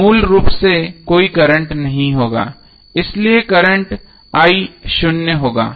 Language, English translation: Hindi, So there would be basically no current so current i would be zero